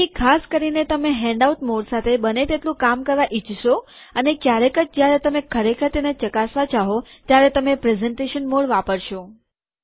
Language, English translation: Gujarati, So typically you would want to work with the handout mode as much as possible and only once in a while when you really want to check it out you want to use the presentation mode